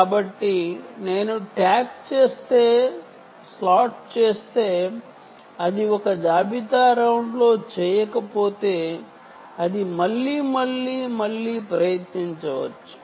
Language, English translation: Telugu, so if i slot, if i tag does not make it in one inventory round, it can try again and again and again and again